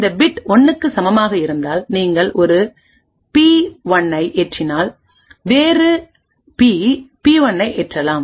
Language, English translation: Tamil, If the bit equal to 1 then you load a P1 else load B P1